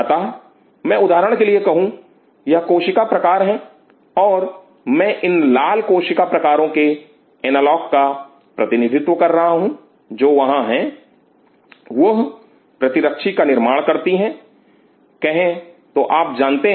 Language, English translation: Hindi, So, I say for example, these cell type and the I am representing the analog of this these red cell types which are there, they produced antibody say you know y